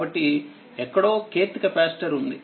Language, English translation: Telugu, So, somewhere k th capacitor is there right